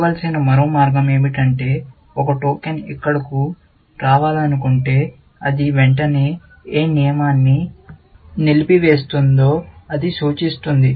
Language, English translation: Telugu, The other way to look at is that if a token wants to come here, then it will immediately, disable the rule to which, it is pointing to